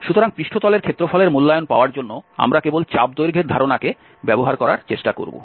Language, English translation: Bengali, So, for getting the evaluation of the surface area, we will just try to translate from the idea of the arc length